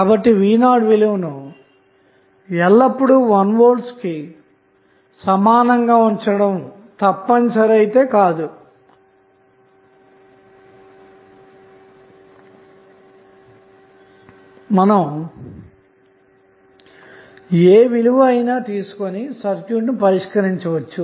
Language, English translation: Telugu, So, it is not mandatory that you always keep V is equal to 1 volt you can take any value and solve this circuit